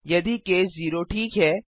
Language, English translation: Hindi, If case 0 is satisfied